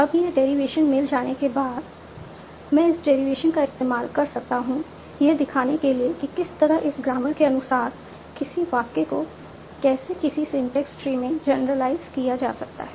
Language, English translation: Hindi, So now, once I have this derivation, I can use this derivation to denote what is the particular syntax tree that underlies the sentence as per this grammar